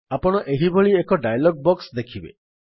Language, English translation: Odia, You will see a dialog box like this